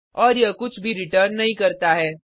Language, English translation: Hindi, And, it does not return anything